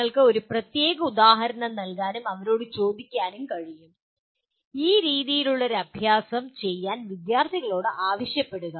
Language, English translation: Malayalam, You can give a particular example and ask them, ask the students to do an exercise of this nature